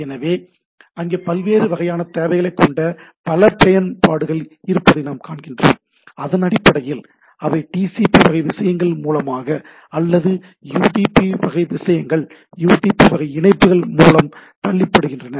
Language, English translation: Tamil, So, what we see that there are several application which has their different kind of need, and based on that either they are pushed through the TCP type of things or UDP type of things, UDP type of connections